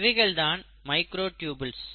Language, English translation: Tamil, That is what is a microtubule